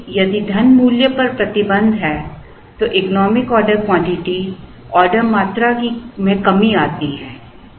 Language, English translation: Hindi, Because, if there is a restriction on the money value, the economic order quantity, the order quantities come down